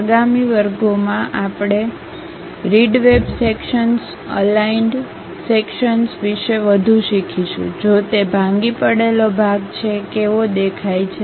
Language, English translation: Gujarati, In the next classes we will learn more about rib web sections, aligned sections; if it is a broken out kind of section how it looks like